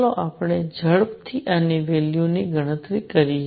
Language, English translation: Gujarati, Let us just quickly calculate the value of this